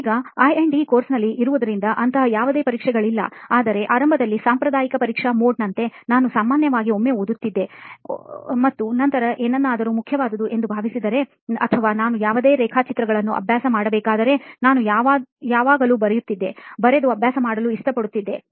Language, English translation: Kannada, Now in I&E course, there are no exam as such, but initially like the conventional exam mode, I would usually read once and then if I feel something important or if I need to practice any diagrams, I always had a, made it a point to like write and practice